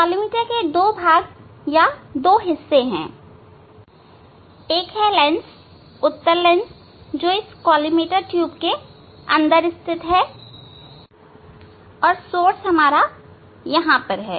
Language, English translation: Hindi, here now, this collimator has two parts, two components, one is lens, convex lens fixed inside this tube collimator tube, and the source here